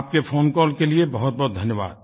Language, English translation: Hindi, Thank you very much for your phone call